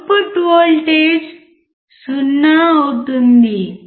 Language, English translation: Telugu, Output voltage would be 0